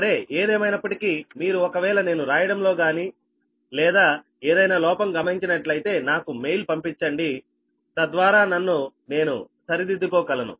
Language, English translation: Telugu, if you see any, any error or anything are are writing error or anything, please mail me such that i can rectify myself